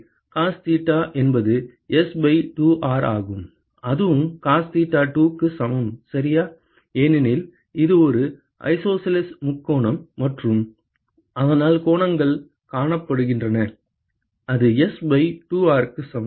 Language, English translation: Tamil, So, cos theta is S by 2R and that is also equal to cos theta2 ok, because it is a isosceles triangle and so the angles are seen and that is equal to S by 2R